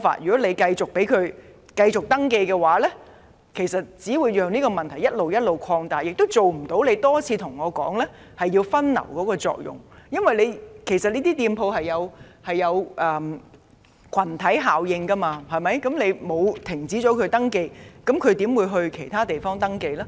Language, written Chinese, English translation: Cantonese, 如果繼續准許更多商店登記，只會讓問題不斷擴大，亦無法達致當局多次提到的分流作用，因為開設這些商店形成群體效應，如果不停止接受商店登記，他們又怎會到其他地方營業呢？, If the Government continues to accept more applications for additional shops the problems will keep aggravating and the diversion effect which the authorities have been reiterating will not materialize . Given the clustering effect of opening these new shops owners will unlikely set up their business in other places if the Government does not stop accepting applications for setting up new shops in that district